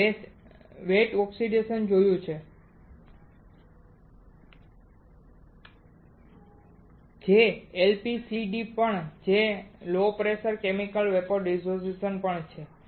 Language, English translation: Gujarati, That we have seen in the wet oxidation that is also LPCVD that is also Low Pressure Chemical Vapor Deposition